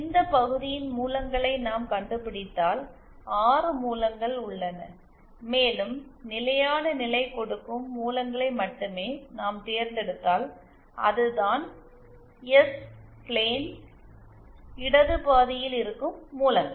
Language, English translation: Tamil, If we find out the roots of this denominator, then there are 6 roots and if we select only those roots that provide the stable, that is those roots that lie on the left half of the S plane